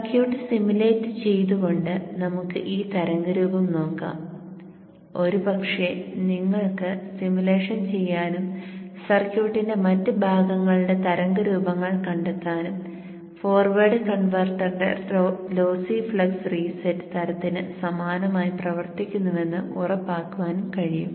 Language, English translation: Malayalam, Let us have a look at this waveform by simulating the circuit and probably you can also do the simulation and find out the way forms of other parts of the circuit and ensure that they work similar to the lossy flux reset type of forward converter also